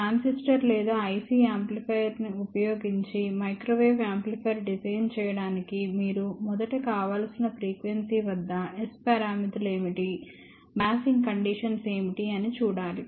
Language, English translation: Telugu, To design a microwave amplifier using either a transistor or even an IC amplifier you must first see what are the s parameters at the desired frequency, what are the biasing conditions